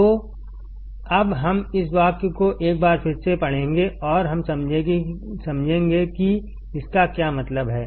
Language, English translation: Hindi, So, now let us read this sentence once again and we will understand what does it mean